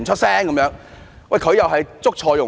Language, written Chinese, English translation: Cantonese, 他確實是"捉錯用神"。, It was indeed wrong for him to make this point